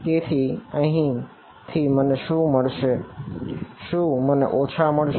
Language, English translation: Gujarati, So, what will I get from here I will get a minus